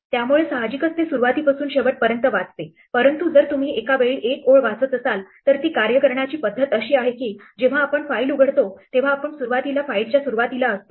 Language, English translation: Marathi, So obviously, it reads from beginning to the end, but if you are reading one line at a time then the way it works is that when we open the file we are initially at the beginning of the file